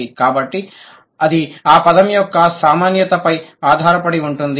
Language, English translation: Telugu, So, it depends on the frequency of that word